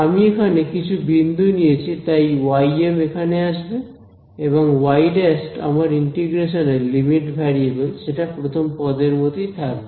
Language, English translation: Bengali, I chose some point over here y m so y m come comes over here and y prime is my limit variable of integration that remains as is that was the first term